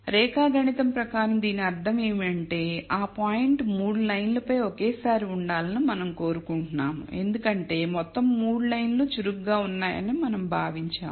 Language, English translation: Telugu, Geometrically what this means is we want the point to lie on all the 3 lines at the same time because we have assumed all 3 lines are active concerned